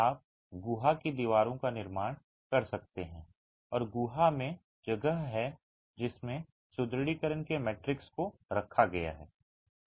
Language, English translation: Hindi, You can construct cavity walls and have the cavity, the space in which the matrix of reinforcement is placed